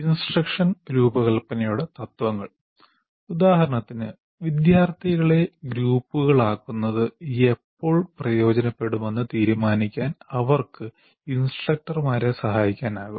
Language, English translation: Malayalam, At least the principles of instructional design would give some indications when it would benefit students to be put into groups